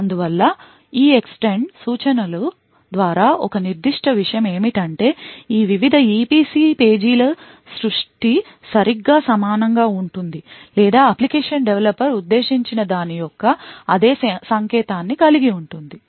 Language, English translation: Telugu, Thus, what is a certain by the EEXTEND instruction is that the creation of these various EPC pages is exactly similar or has exactly the same signature of what as what the application developer intended